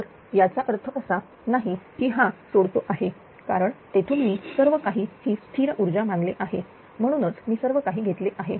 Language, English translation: Marathi, So, that does not mean that it is injecting although from the because there I have treated everything as a constant power that is why I have taken everything right